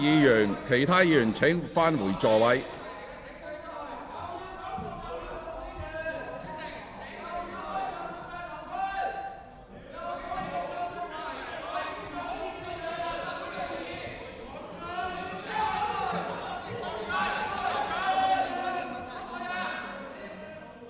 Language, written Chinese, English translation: Cantonese, 請其他議員返回座位。, Will other Members return to their seats